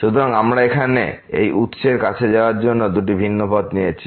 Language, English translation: Bengali, So, we have chosen two different paths to approach this origin here